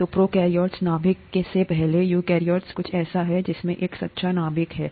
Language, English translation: Hindi, So, prokaryote, before nucleus, eukaryote, something that has a true nucleus